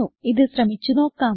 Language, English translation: Malayalam, Let us try it out